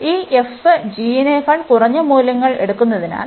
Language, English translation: Malayalam, So, since this f is taking the lower values than the g